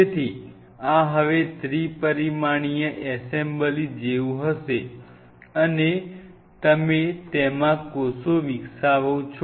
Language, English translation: Gujarati, So, this is what it will be it will be more like a 3 dimensional assembly now and you wanted to grow the cells in it